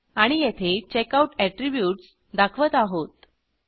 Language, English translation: Marathi, And, here we display the attributes of the Checkout